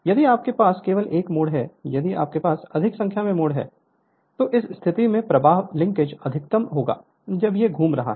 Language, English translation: Hindi, If you have only one turn if you have more number of turns, so this position the flux linkage will be maximum when it is revolving